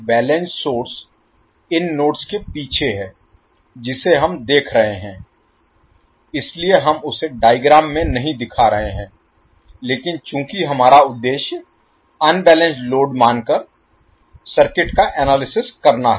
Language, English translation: Hindi, So balanced source is behind the particular nodes, which we are seeing so we are not showing that in the figure but since our objective is to analyze the circuit by assuming unbalanced load